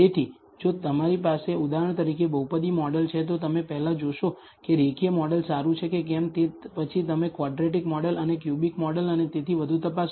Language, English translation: Gujarati, So, if you have for example, a polynomial model, you will first see whether a linear model is good then you will check as quadratic model and a cubic model and so on